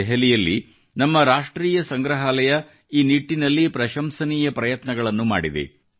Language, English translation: Kannada, In Delhi, our National museum has made some commendable efforts in this respect